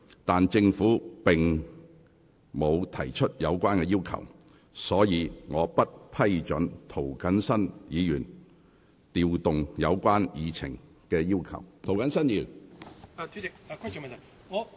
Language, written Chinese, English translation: Cantonese, 然而，政府並無提出有關要求，所以我不批准涂謹申議員該項旨在調動有關議程項目的議案。, Nonetheless as the Government has made no such request I cannot approve Mr James TOs motion which was intended to reorder the agenda items